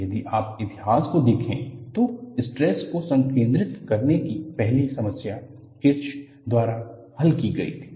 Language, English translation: Hindi, If you look at the History, the first problem leading to stress concentration was solved by Kirsch